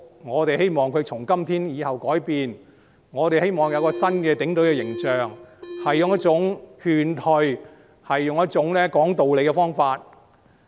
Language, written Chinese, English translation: Cantonese, 我們希望警隊從今天以後改變，我們希望有新的警隊形象，要使用勸退和講道理的方法。, We hope that the Police Force will change from today onwards . We are looking forward to a new image of the Police Force adopting a persuasive approach and using rational dialogue